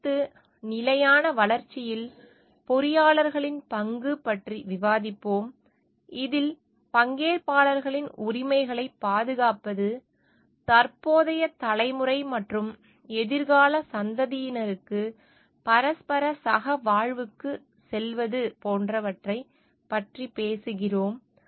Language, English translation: Tamil, Next, we will discuss about the role of engineers in a sustainable development, which where we are talking of like protecting the rights of the all the stakeholders, going for a mutual co existence for the present generation and also for the future generation